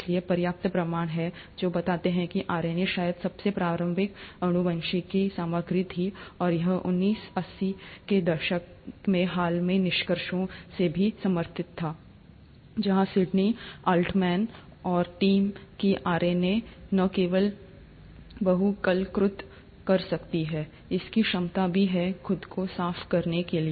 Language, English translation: Hindi, So, there are enough proofs which suggest that RNA might have been the earliest genetic material, and this was also supported by the recent findings in nineteen eighties, where Sydney Altman and team, that RNA can not only polymerize, it is also has the ability to cleave itself